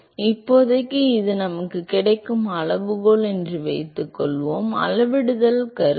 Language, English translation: Tamil, So, for now we will assume that this is the scaling that we get; assume the scaling